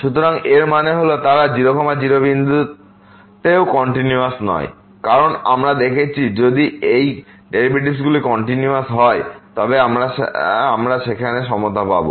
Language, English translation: Bengali, So that means, they are not continuous also at 0 0 because we have seen if the derivatives these derivatives are continuous then we will get the equality there